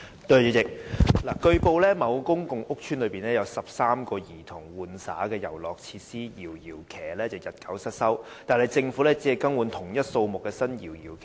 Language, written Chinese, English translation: Cantonese, 主席，據報，某公共屋邨內有13個供兒童玩耍的遊樂設施"搖搖騎"日久失修，但政府只更換同一數目的新"搖搖騎"。, President it has been reported that 13 rocking chairs play equipment for children located in a public housing estate were in a dilapidated state but the Government merely replaced them with the same number of new rocking chairs